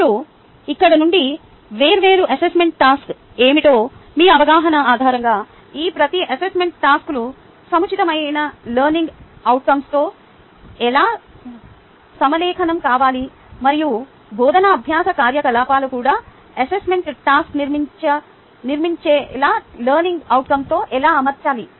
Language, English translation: Telugu, now, from here, based on your understanding of ah, what are the different ah um assessment task, how each of these assessment tasks need to be aligned with the appropriates ah learning outcome, and how a teaching learning activity also need to be in alignment with the assessment task and the learning outcome